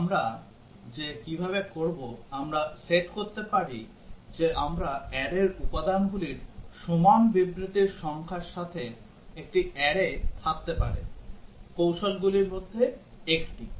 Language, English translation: Bengali, How do we do that, we can set we can have an array with number of statements equal to the elements of the array, one of the techniques